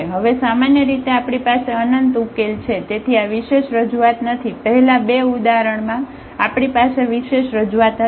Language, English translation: Gujarati, We have basically infinitely many solutions now so, this is a non unique representation in the first two examples we have a unique representation